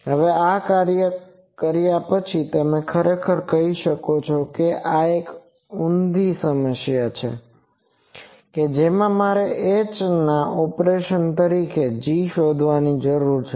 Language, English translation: Gujarati, Now doing these actually you can say this is an inverse problem that I need to find g as a operation of h